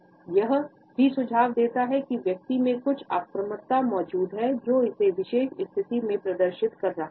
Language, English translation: Hindi, It may also suggest that certain aggression is also present in the person, who is displaying this particular position